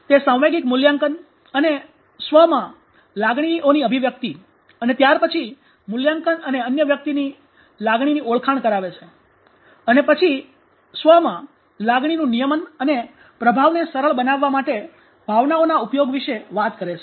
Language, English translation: Gujarati, It talks about emotional appraisal and expression of emotions in self and self then appraisal and recognition of emotion in others regulation of emotion in the self and use of emotion to facilitate performance